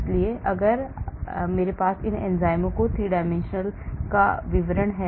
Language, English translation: Hindi, So if I have details of 3 dimensional structures of these enzyme